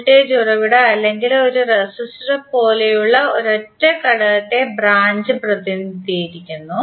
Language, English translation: Malayalam, Branch represents a single element such as voltage source or a resistor